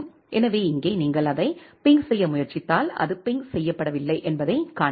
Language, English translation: Tamil, So, here if you try to ping it you can see that it is not getting pinged